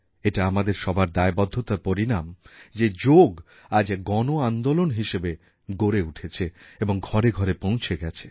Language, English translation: Bengali, It is the result of our concerted efforts and commitment that Yoga has now become a mass movement and reached every house